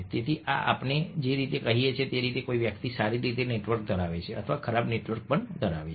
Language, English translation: Gujarati, so what this tells us is the way somebody's well networked or ill networked